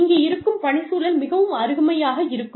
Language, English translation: Tamil, How great, the work environment here is